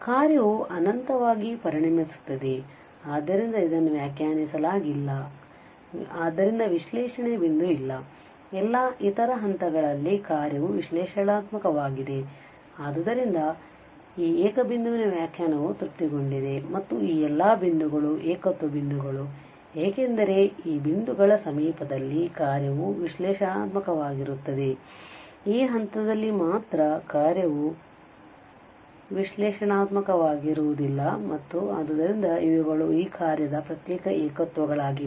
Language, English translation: Kannada, The function will become this infinity, so it is not defined as such so there is no point of analyticity, at all other points the function is analytic and therefore, we, the definition of this singular point is satisfied and all these points are singular point, because in the neighbourhood of these points the function is analytic, only at this point the function is not analytic, and therefore these are the isolated singularities of this function